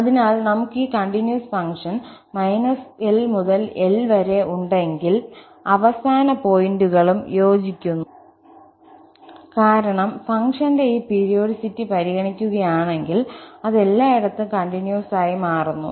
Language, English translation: Malayalam, So, if we have this continuous function from minus L to L and the end points also matches and the reason is that if we consider this periodicity of the function, then it becomes continuous everywhere